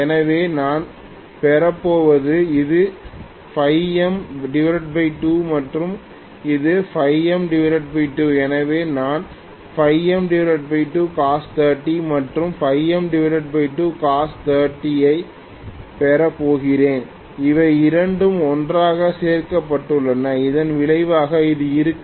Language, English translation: Tamil, So, what I am going to get is, this is phi M by 2 and this is also phi M by 2, so I am going to get phi M by 2 cos 30 and phi M by 2 cos 30, both of them added together, the resultant will be along this